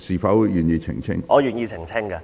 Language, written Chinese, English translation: Cantonese, 不要緊，我願意澄清。, It does not matter . I am willing to clarify